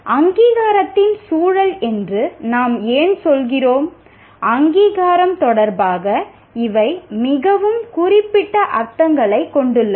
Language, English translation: Tamil, Why we say context of accreditation is these have very specific meanings with regard to the accreditation